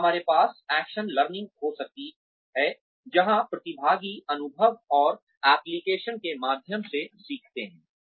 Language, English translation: Hindi, And, we can have action learning, where participants learn through, experience and applications